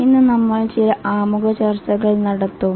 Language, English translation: Malayalam, Today we will have some introductory discussion